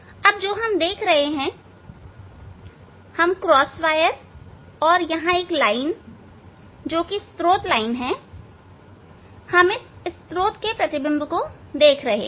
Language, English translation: Hindi, Now, here whatever seeing here we see this crosswire and these this one line which is source line, this is source line, this source image we are seeing